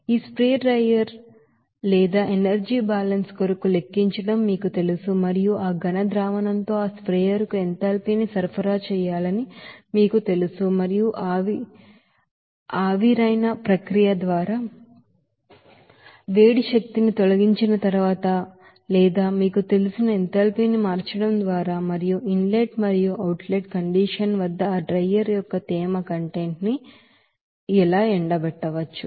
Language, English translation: Telugu, So this is you know that the basic you know calculation for this spray drier or energy balance and what will be the amount of heat or amount of you know enthalpy to be supplied to that sprayer with that solid solution and how that solid solution can be dried after just removing of heat energy by evaporation process or just by changing of you know enthalpy and also the moisture content of that drier in the inlet and at the outlet condition